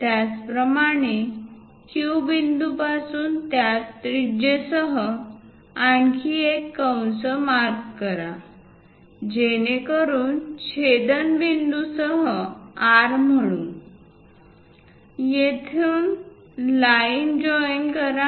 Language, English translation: Marathi, Similarly, from Q point with the same radius; mark another arc so that the intersection point call it as R, from there join the line